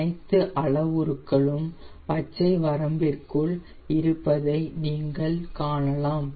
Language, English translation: Tamil, you can see all parameters are within the green range